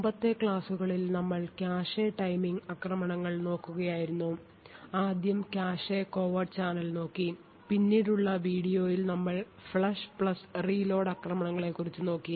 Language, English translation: Malayalam, In the previous lectures we have been looking at cache timing attacks, we had looked at the cache covert channel first and then in the later video we had looked at the Flush + Reload attack